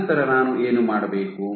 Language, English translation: Kannada, Then what I do